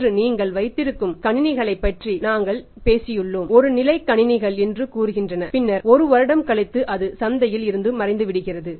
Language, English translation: Tamil, Then we have you talked about the computers you have today say one level of the computers then after one year it disappears from the market